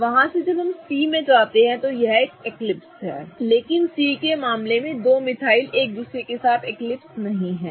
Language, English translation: Hindi, From there when we go to C, C is an eclipsed one but in the case of C the two metals are not eclipsing with each other